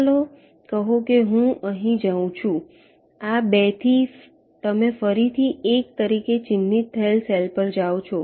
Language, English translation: Gujarati, let say i go here from this two again you go to a cell which is marked as one